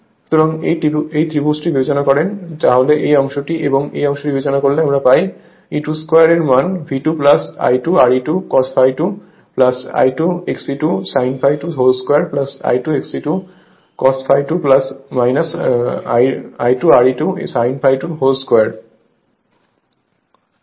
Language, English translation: Bengali, So, E 2 square will be V 2 plus I 2 R e 2 cos phi 2 plus I 2 X e 2 sin phi 2 whole square right plus I 2 X e 2 cos phi 2 minus I 2 R e 2 sin phi 2 square right